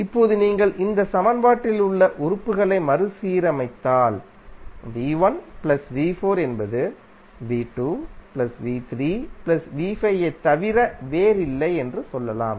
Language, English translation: Tamil, Now if you rearrange the elements in this equation then we can say that v¬1¬ plus v¬4¬ is nothing but v¬2 ¬plus v¬3¬ plus v¬5 ¬